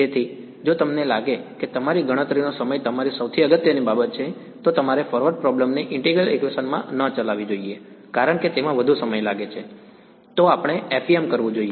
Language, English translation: Gujarati, So, it is yeah if you think if you feel that you know computational time is your most important thing, then you should not run the forward problem in integral equation because, it takes much more time then let us say FEM